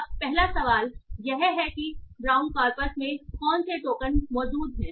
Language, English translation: Hindi, Now, now the first question is what tokens are present in the brown corpus